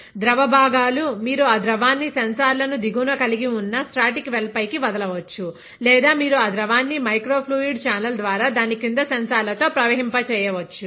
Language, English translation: Telugu, The constituents of the liquid, you can either drop that liquid on to a static well which contains sensors below; or you can flow that liquid through a microfluidic channel with sensors below it